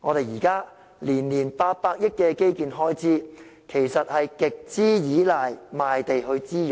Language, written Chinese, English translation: Cantonese, 現在每年800億元的基建開支，其實是極度倚賴賣地作滋養。, The current infrastructure expenditure of 80 billion per annum indeed relies heavily on land sale